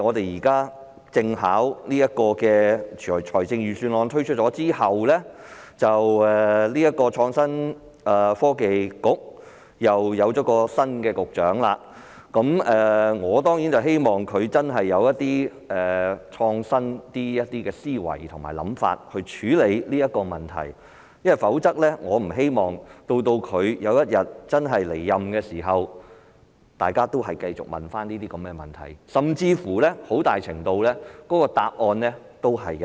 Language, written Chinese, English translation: Cantonese, 現在碰巧在財政預算案推出後，創新及科技局又換了新局長，我當然希望他有較創新的思維和想法來處理這個問題，因我不希望當他離任時大家仍在提出相關問題，甚至很大程度上連答案也一樣。, It so happens that after the delivery of the Budget this year a new Bureau Director was appointed to head the Innovation and Technology Bureau and I of course hope that he will deal with the matter with a more innovative mindset and new ideas because I do not wish to see that people will still be asking the same questions and receiving more or less the same answers when he leaves office